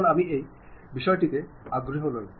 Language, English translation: Bengali, Now, I am not interested about this point